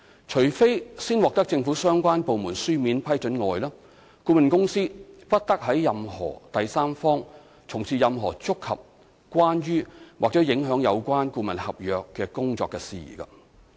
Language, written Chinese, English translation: Cantonese, 除非事先已獲政府相關部門書面批准外，顧問公司不得為任何第三方從事任何觸及、關於或影響有關顧問合約工作的事宜。, Except with the prior written approval of the relevant government department the consultant shall not undertake any jobs for and on behalf of any third party which touches concerns or affects the services of the consultancy agreement